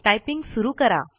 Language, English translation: Marathi, Lets start typing